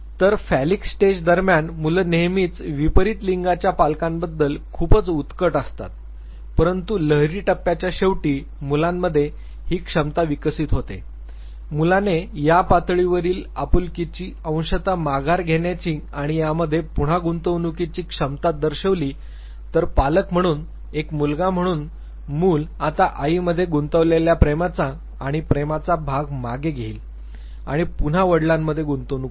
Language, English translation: Marathi, So, during phallic stage children they always are too passionate about the parent of the opposite sex, but by the end of the phallic stage, the child develops this ability, the child demonstrates this ability of partial withdrawal of this level affection and reinvestment in to the other parent